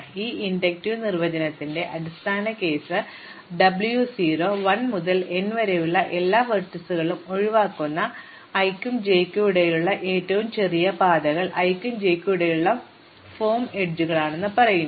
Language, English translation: Malayalam, So, W 0, the base case of this inductive definition says that the shortest paths between i and j which exclude all vertices from 1 to n are of the form edges between i and j